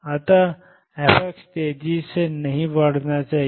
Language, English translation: Hindi, So, f x should not increase faster